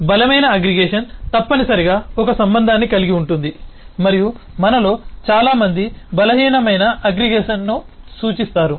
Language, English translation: Telugu, so strong aggregation necessarily has a relationship and eh many of eh us refer to the weak aggregation as simple has relationship